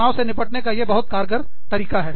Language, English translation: Hindi, One very effective way of dealing with stress